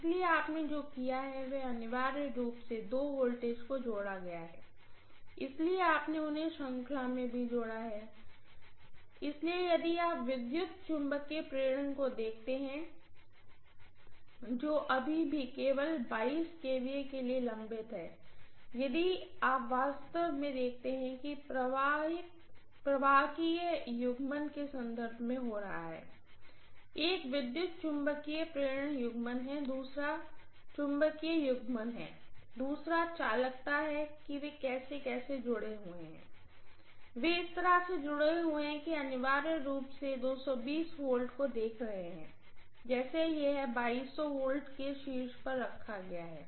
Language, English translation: Hindi, So what you have done is essentially added the two voltages, so you have connected them in series, so if you look at the electromagnet induction that is taking place, that is still pending for only 22 kVA, nothing more than that, but if you look at actually what is happening in terms of the conductive coupling, one is electromagnetic induction coupling, the other one is or magnetic coupling, the other one is conductivity how they are connected, they have been connected in such a way that you are essentially making the 220 V look like it is put on the top of 2200 V